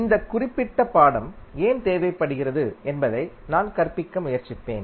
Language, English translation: Tamil, I will try to understand why this particular this subject is required